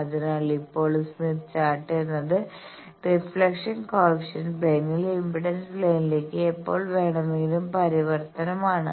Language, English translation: Malayalam, So, now, I know that Smith Chart is anytime transformation from reflection coefficient plane to impedance plane